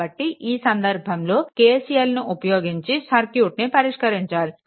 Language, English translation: Telugu, So, in this case what you call a this KCL is needed, for solving this circuit